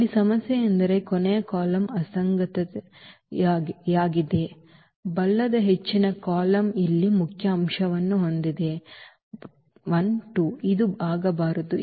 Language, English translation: Kannada, Now, the problem here is the inconsistency the last column the right most column here has a pivot element here this 12 which should not happen